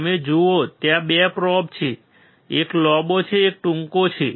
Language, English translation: Gujarati, You see there are 2 probes: one is longer; one is shorter